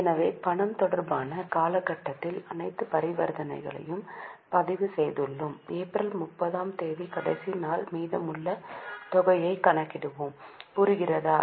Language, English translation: Tamil, So, we have recorded all the transactions in the period related to cash and at the last day that is on 30th of April we will calculate the balance